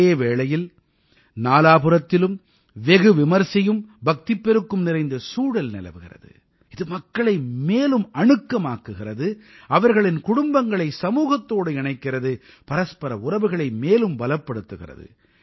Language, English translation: Tamil, During this time, there is an atmosphere of devotion along with pomp around, which brings people closer, connects them with family and society, strengthens mutual relations